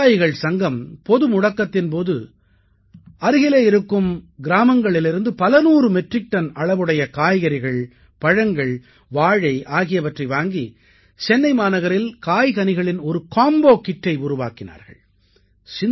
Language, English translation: Tamil, This Farmer Collective purchased hundreds of metric tons of vegetables, fruits and Bananas from nearby villages during the lockdown, and supplied a vegetable combo kit to the city of Chennai